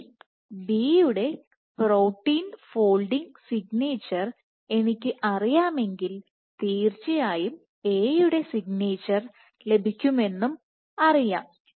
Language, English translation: Malayalam, Then I know for sure if I know the protein folding signature of B I know; what is the folding signature of A